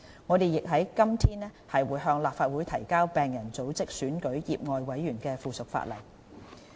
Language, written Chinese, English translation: Cantonese, 我們亦於今天向立法會提交病人組織選舉醫委會業外委員的附屬法例。, And we have submitted to the Legislative Council today the subsidiary legislation on the election of lay members of MCHK by patient organizations